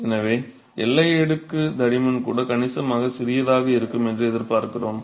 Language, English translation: Tamil, So, we expect even the boundary layer thickness to be significantly smaller and